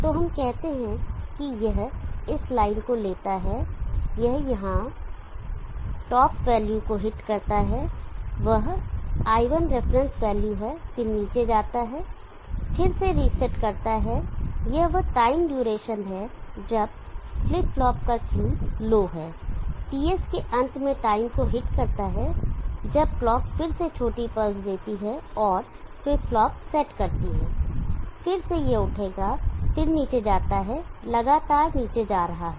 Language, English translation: Hindi, So let us say it takes this line it hits the top value here that is il reference value then goes down rests again this is the time duration when the Q of the flip flop is low hits the time at the end of ts when the clock again gives the small pulse and set the flip flop again it will rise then goes down continuous going down